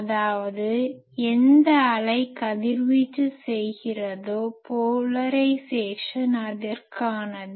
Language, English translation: Tamil, That means whatever wave it is radiating, the polarisation is for that